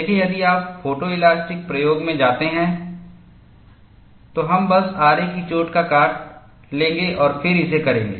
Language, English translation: Hindi, See, if you go to photo elastic experiment, we will simply take a saw cut and then do it